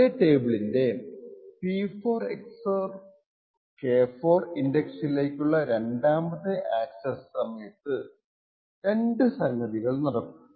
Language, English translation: Malayalam, Now during the 2nd access to the same table at the index P4 XOR K4 there are 2 things that can occur